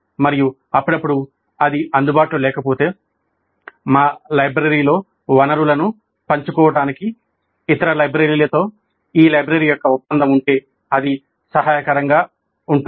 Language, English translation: Telugu, And occasionally if it is not available in our library, if there is an agreement of this library with other libraries to share the resources, then it would be helpful